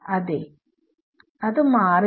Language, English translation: Malayalam, Yeah they will not change